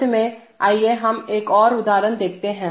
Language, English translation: Hindi, Before we end, let us let us look at another example